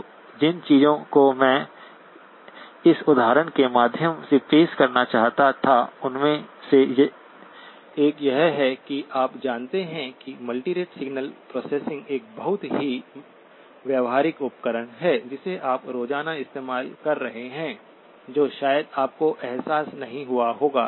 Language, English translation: Hindi, So one of the things that I wanted to introduce through this example of course, one is that you know multirate signal processing is a very practical tool which you are using everyday whether you may not have realized it